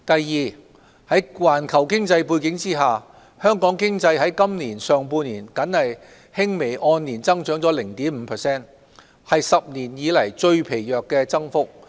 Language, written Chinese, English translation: Cantonese, 二在環球經濟背景下，香港經濟在今年上半年僅輕微按年增長 0.5%， 為10年來最疲弱的增幅。, 2 In the context of the global economy the Hong Kong economy grew slightly by 0.5 % year - on - year in the first half of this year the weakest increase in a decade